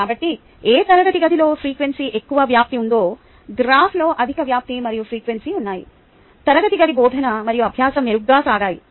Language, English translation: Telugu, so whichever classroom has higher amplitude in frequency, the graph has higher amplitude in frequency, that classroom teaching and learning has gone on better